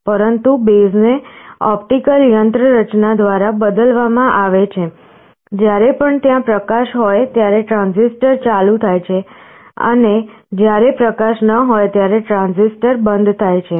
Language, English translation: Gujarati, But the base is replaced by an optical mechanism, whenever there is a light the transistor turns on, and when there is no light, the transistor is off